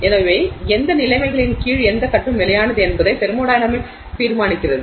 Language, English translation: Tamil, So, that is the thermodynamics decides which phase is stable under what conditions